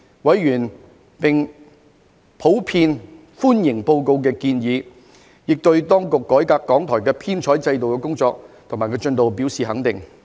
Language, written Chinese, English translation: Cantonese, 委員普遍歡迎報告的建議，亦對當局改革港台編採機制的工作及進度表示肯定。, Members generally welcomed the recommendations of the Report and acknowledged the work and progress made by the Administration in reforming the editorial and news coverage structure of RTHK